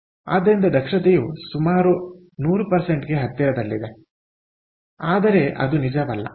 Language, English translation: Kannada, so efficiency is almost close to hundred percent